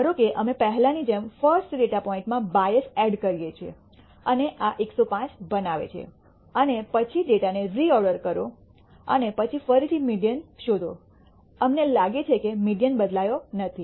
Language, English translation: Gujarati, Suppose we add a bias in the first data point as before and make this 105 and then reorder the data and find out the again the median; we find that the median has not changed